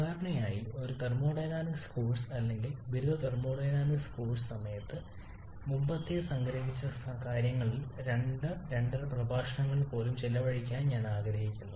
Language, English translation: Malayalam, And normally during a typical thermodynamics course or undergraduate thermodynamics course I would have prefer to spend two or even a two and half lectures on whatever we have summarized the previous one